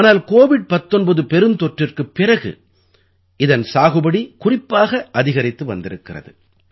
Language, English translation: Tamil, But its cultivation is increasing especially after the COVID19 pandemic